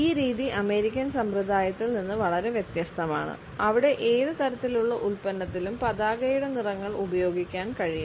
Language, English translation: Malayalam, This practice is very different from the American practice where the colors of the flag can be worn on any type of a product at the same time colors also have religious symbolism